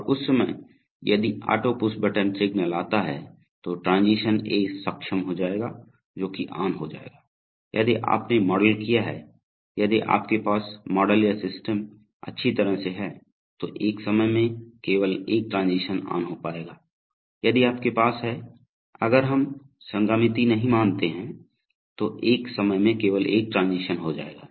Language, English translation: Hindi, And at that point of time if the auto push button signal comes then transition A will get enabled, so it will be on, right, so if you have modeled, if you have model or system well, then at a time only one transition will get on right, if you have, if we do not consider concurrency then at a time only one transition will get on